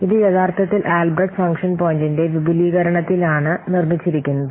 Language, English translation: Malayalam, It is built on, it is actually an extension of this Albreast function points